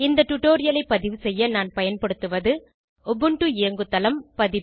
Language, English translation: Tamil, To record this tutorial I am using * Ubuntu Linux OS version